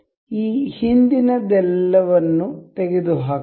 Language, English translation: Kannada, Let us remove all these earlier ones